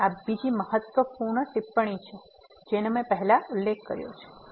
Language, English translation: Gujarati, So, this is another important remark which I have mentioned before